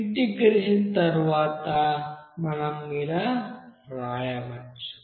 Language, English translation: Telugu, Now after integration, what we can write